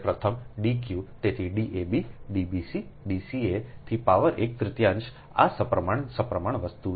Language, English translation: Gujarati, so d, a, b, d, b, c, d, c, a to the power one, third, this symmetric, symmetrical thing